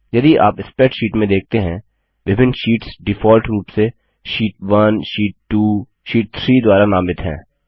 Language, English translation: Hindi, If you see in a spreadsheet, the different sheets are named by default as Sheet 1, Sheet 2, Sheet 3 and likewise